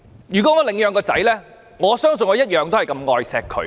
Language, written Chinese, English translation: Cantonese, 如果我領養子女，相信我會同樣愛惜他。, If I adopt a child I believe I will love himher as my own